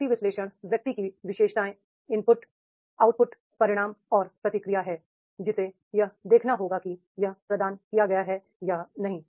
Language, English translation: Hindi, Person analysis is the person characteristics, the input, output, consequences and feedback that has to be seen whether it is provided or not